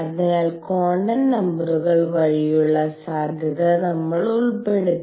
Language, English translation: Malayalam, So, we included the possibility through quantum numbers right